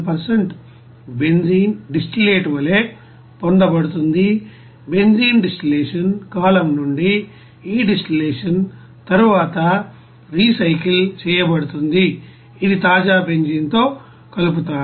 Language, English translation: Telugu, And this distillate from the benzene distillation column is then recycled and it is mixed with the fresh benzene